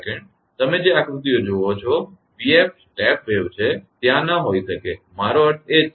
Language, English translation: Gujarati, Whatever figures you see v f step wave it may not be there I mean same thing right